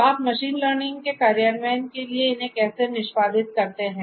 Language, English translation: Hindi, So, how do you execute these in for machine learning implementations